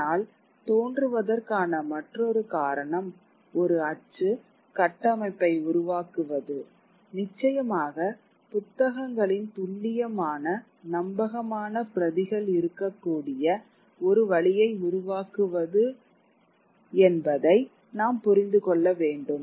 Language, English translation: Tamil, But another incentive for looking for print, the emergence of print or creating a print structure was of course also to understand, to create a way in which there could be exact more reliable copies of books